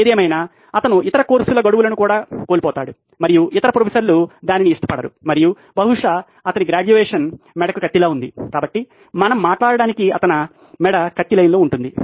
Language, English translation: Telugu, However, he goes on missing other courses deadlines and the other professors will not like that and probably his graduation will be on the line, so his neck is on the line so to speak